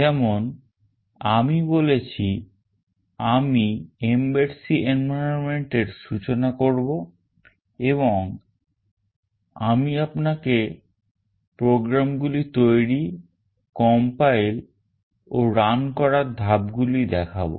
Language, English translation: Bengali, As I said I will introduce the mbed C environment and I will show you the steps that are required to create, compile and run the programs